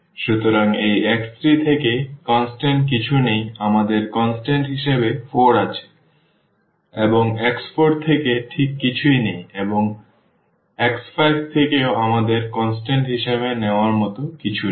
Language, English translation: Bengali, So, there is nothing constant from this x 3 we have 4 as constant and from x 4 there is nothing exactly and from x 5 also we do not have anything to take as a constant